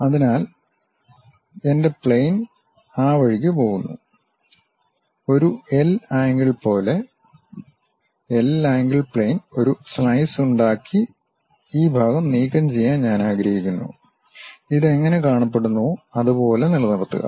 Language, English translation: Malayalam, So, my plane actually goes in that way; like a L angle, L angle plane I would like to really make a slice and remove this part, retain this how it looks like